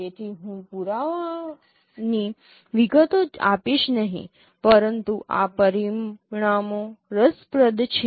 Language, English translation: Gujarati, So, I will not give the details of the proofs but this results are interesting